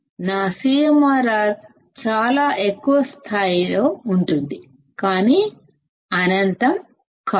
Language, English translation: Telugu, My CMRR would be very high; but not infinite